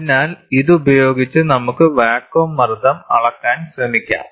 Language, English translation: Malayalam, So, with this we can try to measure the vacuum pressure